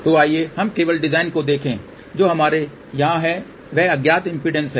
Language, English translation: Hindi, So, let us just look at the design, what we have here is a unknown impedance